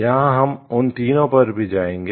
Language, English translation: Hindi, Here we will visit all 3 of them